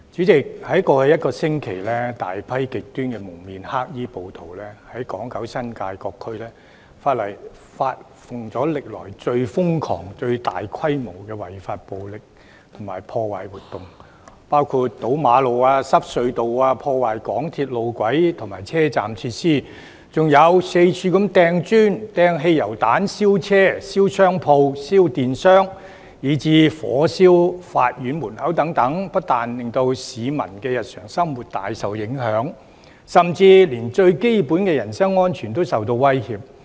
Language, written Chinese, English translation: Cantonese, 在過去一星期，有大批極端蒙面黑衣暴徒在港九新界各區發動歷來最瘋狂、最大規模的違法暴力及破壞活動，包括堵路、阻塞隧道、破壞港鐵路軌及車站設施，還四處投擲磚頭、擲汽油彈、燒車、燒商鋪、燒電箱，以至火燒法院門口等，不但令市民的日常生活大受影響，甚至連最基本的人身安全亦受威脅。, In the past week a large number of extremist rioters wearing masks and black clothing frantically initiated massive unlawful activities violence and vandalism in different districts in Hong Kong Kowloon and the New Territories . They blocked roads and tunnels sabotaged MTR railway tracks and vandalized railway station facilities . They threw bricks and petrol bombs everywhere